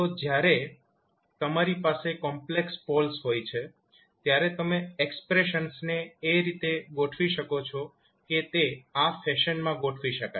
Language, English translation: Gujarati, So, when you have complex poles, you can rearrange the expressions in such a way that it can be arranged in a particular fashion